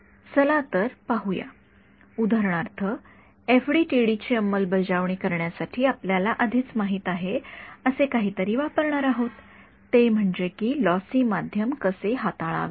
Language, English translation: Marathi, So, let us look at, for example, to make the compare to make the implementation into FDTD we will use something which you already know which is how to deal with lossy media ok